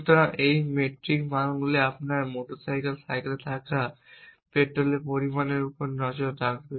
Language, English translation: Bengali, So, this metric values would keep track of amount of the petrol that you have in a your motor cycle